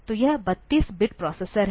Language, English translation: Hindi, So, its a 32 bit processor